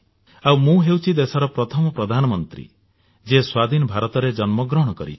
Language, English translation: Odia, And I am the first Prime Minister of this nation who was born in free India